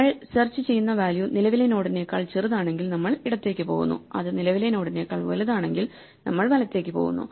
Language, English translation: Malayalam, So, if it is less than the current value then we go to the left and delete if it is bigger than the current value we go to the right and delete